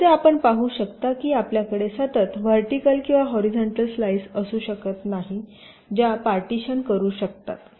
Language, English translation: Marathi, as you can see, you cannot have a continuous vertical or a horizontal slice that can partition this floor plan